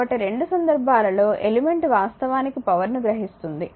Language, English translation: Telugu, So, both the cases element actually is absorbing the power right